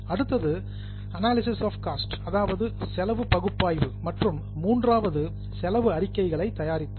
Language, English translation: Tamil, The next one is analysis of cost, and the third one is preparation of cost statements